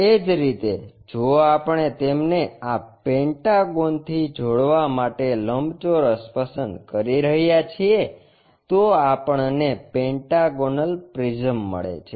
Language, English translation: Gujarati, Similarly, if we are picking rectangles connect them across this pentagon we get pentagonal prism